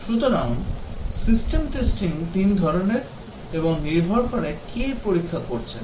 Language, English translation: Bengali, So system testing, three types and depends on who does the testing